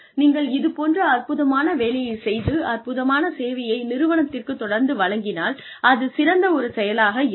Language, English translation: Tamil, As long as, you continue doing this fabulous work and delivering fabulous service to the organization, it is great